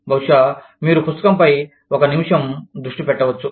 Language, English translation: Telugu, Maybe, you can focus on the book, for a minute